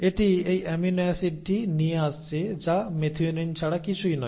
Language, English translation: Bengali, So this is the amino acid it is bringing which is nothing but methionine